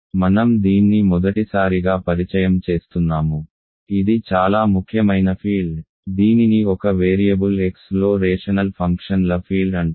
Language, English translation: Telugu, This is called field of this is the first time I am introducing this, this is a very important field this is called field of rational functions in one variable X ok